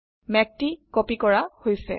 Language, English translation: Assamese, The cloud has been copied